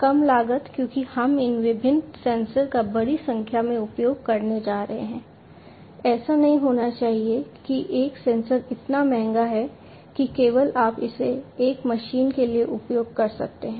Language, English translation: Hindi, Low cost because we are going to use large number of these different sensors, it should not happen that one sensor is so costly, that only you can use it for one machine